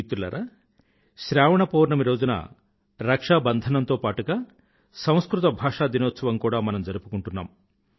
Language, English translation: Telugu, Friends, apart from Rakshabandhan, ShravanPoornima is also celebrated as Sanskrit Day